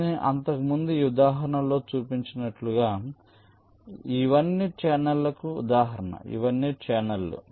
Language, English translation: Telugu, so, as i showed in that example earlier, these are all examples of channels